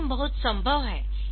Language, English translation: Hindi, So, this can be done fine